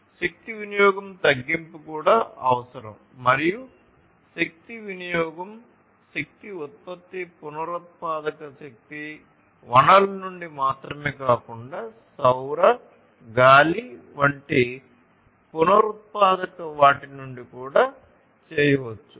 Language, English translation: Telugu, So, reduction in energy consumption is also required and energy consumption, energy production can be done not only from the non renewable sources of energy, but also from the renewable ones like solar, wind, and so on